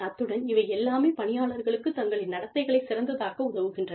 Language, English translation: Tamil, And, all of this helps the employees, manage their own behavior, better